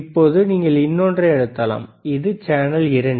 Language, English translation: Tamil, nNow can you press another one, more time this is channel 2 right